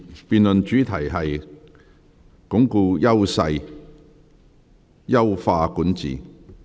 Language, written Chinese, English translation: Cantonese, 辯論主題是"鞏固優勢、優化管治"。, The debate theme is Reinforcing Strengths Enhancing Governance